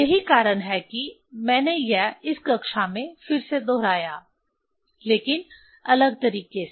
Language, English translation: Hindi, That is why I repeated this again in this class, but in different way